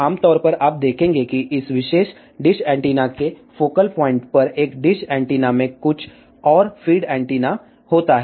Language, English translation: Hindi, So, generally you will see that a dish antenna has a some another feed antenna at the focal point of this particular dish antenna